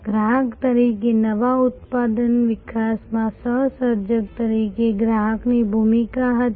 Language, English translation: Gujarati, Customer had a role in new product development as a co creator as user